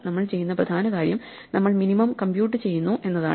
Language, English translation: Malayalam, The important thing is we are computing minimum